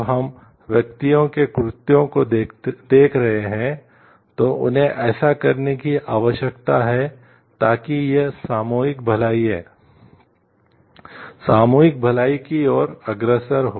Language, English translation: Hindi, When we are looking and the acts of the individuals what they need to do so that it leads to the collective wellbeing